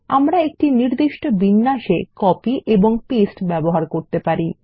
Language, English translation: Bengali, We can use copy and paste in a specific format